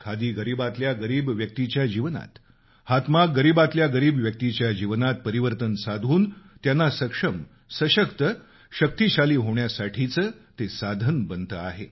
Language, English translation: Marathi, Khadi and handloom have transformed the lives of the poorest of the poor and are emerging as a powerful means of empowering them